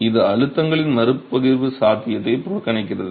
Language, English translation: Tamil, So, it completely neglects the possibility of redistribution of stresses